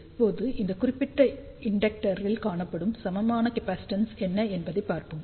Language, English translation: Tamil, Now, let us see what is the equivalent capacitance seen by this particular inductor